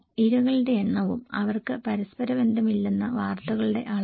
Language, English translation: Malayalam, Number of victims and volume of news that they have no correlations